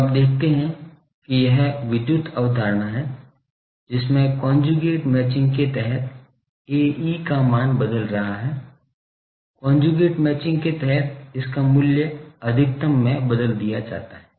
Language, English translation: Hindi, So, you see that it is a electrical concept that under conjugate matching the A e value is changing, under conjugate matching its value is changed to maximum